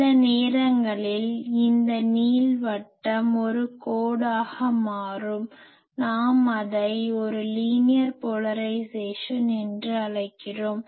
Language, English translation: Tamil, Sometimes that ellipse becomes a line that time we call it a linear polarisation